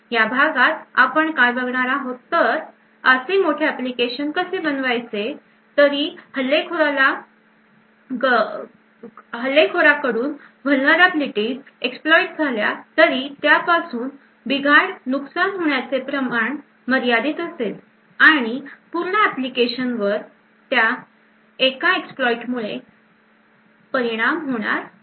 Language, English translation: Marathi, So what we will look at in this lecture is how we design such large application so that even if a vulnerability gets exploited by an attacker, the amount of damage that can be caused by that exploit is limited and the entire application would should not be affected by that single exploit